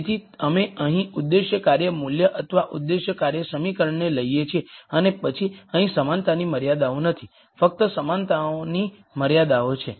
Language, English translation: Gujarati, So, we take the objective function value or the objective function expression here and then there are no equality constraints here, there are only inequality constraints